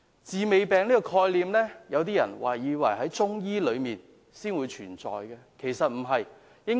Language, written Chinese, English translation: Cantonese, "治未病"這概念，有些人可能以為中醫學才會有，其實不然。, Some may think that the concept of preventive treatment of diseases is unique to Chinese medicine but it is so